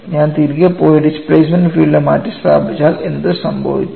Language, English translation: Malayalam, Suppose I go back and substitute the displacement field what happens to it